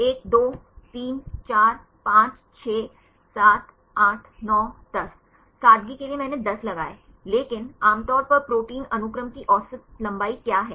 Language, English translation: Hindi, 1, 2, 3, 4, 5, 6, 7, 8, 9, 10; for simplicity I put 10, but usually what is average length of protein sequences